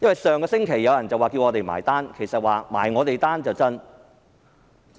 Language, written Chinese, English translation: Cantonese, 上星期有人叫我們"埋單"，其實他們是想"埋我們單"。, Last week some people asked us to stop what we have been doing; in fact they only wanted to see us leave